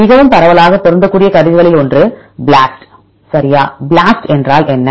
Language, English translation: Tamil, One of the most widely applicable tools is BLAST right what is BLAST